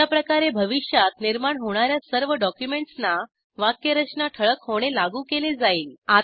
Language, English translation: Marathi, In this way, syntax highlighting will be applied to all documents created in the future